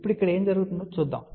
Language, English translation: Telugu, Now, let us see what is happening over here